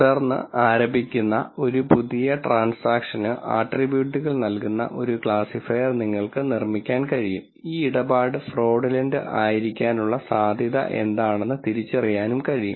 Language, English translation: Malayalam, Then you could build a classifier which given a new set of attributes that is a new transaction that is being initiated, could identify what likelihood it is of this transaction being fraudulent